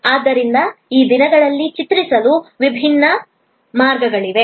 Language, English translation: Kannada, So, there are different ways of depicting these days